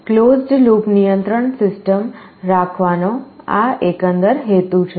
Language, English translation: Gujarati, This is the overall purpose of having a closed loop control system